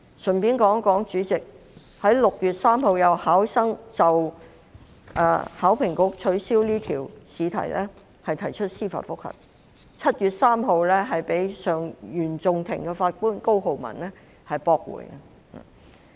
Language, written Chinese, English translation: Cantonese, 主席，順帶一提，有文憑試考生就考評局取消有關試題於6月3日提出司法覆核，被原訟庭法官高浩文於7月3日駁回。, President let me mention in passing that an HKDSE Examination candidate applied for a judicial review on 3 June in connection with HKEAAs invalidation of the question concerned and the application was dismissed by the Honourable Justice COLEMAN of the Court of First Instance on 3 July